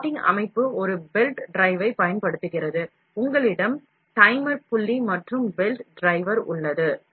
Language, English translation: Tamil, Plotting system uses a belt drive, you have a timer pulley and a belt drive